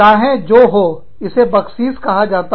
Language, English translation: Hindi, Anyway, so, it is called Baksheesh